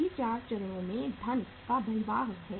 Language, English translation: Hindi, All the 4 stages there is outflow of the funds